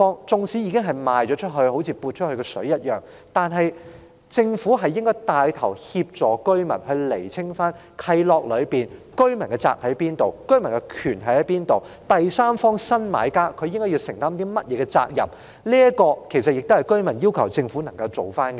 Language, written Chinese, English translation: Cantonese, 縱使已經出售的物業有如潑出的水，但政府應牽頭協助居民釐清契諾中的責任和權利，以及第三方新買家應承擔的責任，這是居民要求政府做的事。, Though properties sold can be likened to bathwater thrown out the Government should take the lead to help the residents in the clarification of the obligations and rights in the covenants as well as the obligations to be borne by new buyers as the third party . This is what the residents urge the Government to do